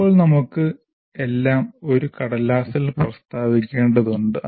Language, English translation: Malayalam, So now it is, we are required to state everything on a piece of paper